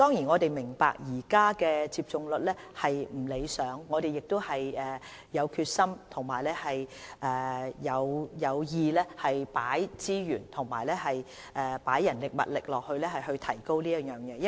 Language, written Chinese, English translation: Cantonese, 我們也明白現時的接種率並不理想，但我們有決心也有計劃投放資源和人力，務求這方面的數字可以有所提高。, We also understand that the take - up rate is now less than satisfactory but we have the confidence as well as plans for the allocation of resources and manpower to boost the rate